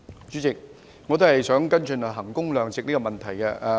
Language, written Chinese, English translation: Cantonese, 主席，我也想跟進衡工量值的問題。, President I would also like to follow up on the issue of value for money